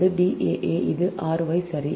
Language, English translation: Tamil, so d s, y is equal